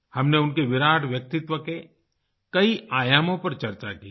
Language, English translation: Hindi, We have talked about the many dimensions of his great personality